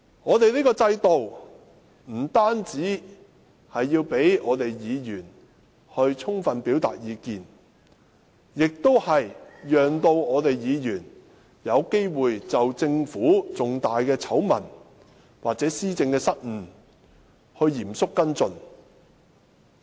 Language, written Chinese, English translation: Cantonese, 我們這個制度不單要讓議員充分表達意見，亦須讓議員有機會就政府的重大醜聞或施政失誤嚴肅跟進。, Besides enabling Members to fully express their views our system also aims to allow Members to seriously look into the Governments scandals or policy blunders